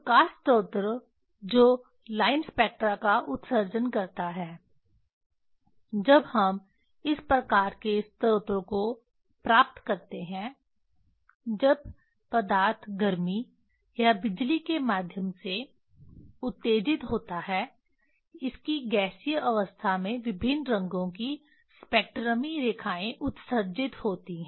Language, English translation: Hindi, for light source that emits line spectra that when we get this type of source when matter is excited through heat or electricity; in its gaseous state spectral lines of different colors are emitted